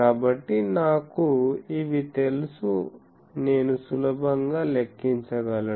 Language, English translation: Telugu, So, that I can easily calculate because I know these